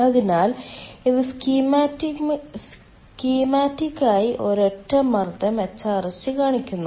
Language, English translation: Malayalam, this shows schematically one ah single pressure hrsg